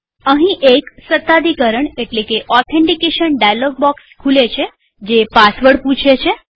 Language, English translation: Gujarati, Here, an authentication dialog box appears asking for the Password